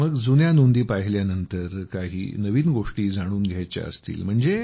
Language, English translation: Marathi, Then after seeing the old records, if we want to know any new things